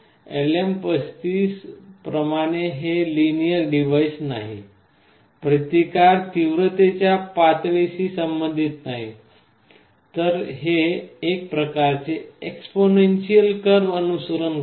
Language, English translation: Marathi, Unlike LM35 this is not a linear device; the resistance is not proportional to the intensity level, it follows this kind of exponential curve